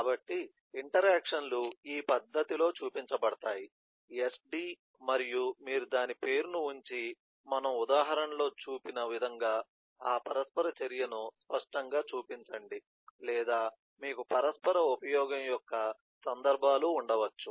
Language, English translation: Telugu, interactions are being shown in this manner, the sd and then you put that, put the name of that and show that interaction explicitly, as we had eh shown in the example, or you could have instances of interaction use